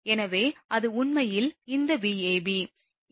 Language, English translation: Tamil, So, that is this Vab actually